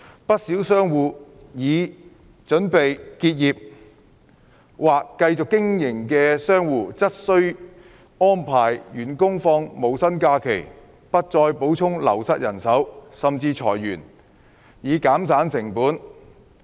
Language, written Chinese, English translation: Cantonese, 不少商戶已經或準備結業，而繼續經營的商戶則需安排員工放無薪假期、不再補充流失人手，甚至裁員，以減省成本。, Quite a number of shop operators have closed down or are prepared to close down their businesses whilst those who continue their businesses have to arrange their staff to take no pay leave stop providing replacement for staff members who have left or even lay off staff in order to reduce costs